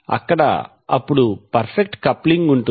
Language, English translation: Telugu, There by resulting in perfect coupling